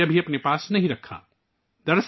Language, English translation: Urdu, He did not keep even a single rupee with himself